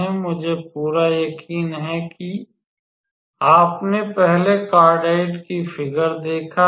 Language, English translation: Hindi, So, I am pretty sure you may have seen the figure for the cardioide before